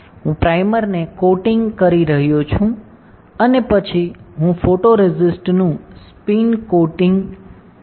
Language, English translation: Gujarati, So, now after primer coating, you will go for photoresist spin coating